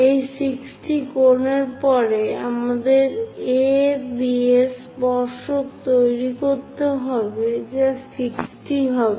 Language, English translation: Bengali, After that 60 degrees angle, we have to make with A, the tangents are making 60 degrees